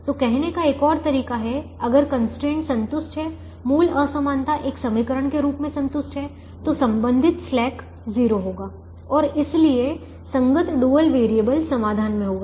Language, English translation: Hindi, so another way of saying is: if the constraint is satisfied, the original inequality is satisfied as an equation, then the corresponding slack will be zero and therefore the corresponding dual variable will be in the solution